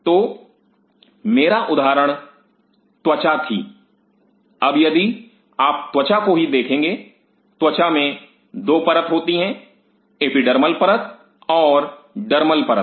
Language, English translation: Hindi, So, my example was skin now if you look at the skin itself skin consists of 2 layers epidermal layer and the dermal layer